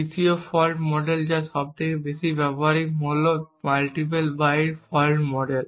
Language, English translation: Bengali, Third fault model which is the most practical of all is the multiple byte fault model